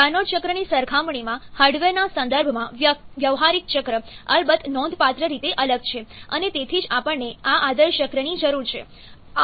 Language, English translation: Gujarati, Practical cycles of course differ significantly in terms of the hardware for compared with the carnot cycle and that is why we need this ideal cycles